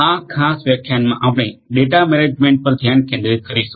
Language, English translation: Gujarati, In this particular lecture we will focus on data management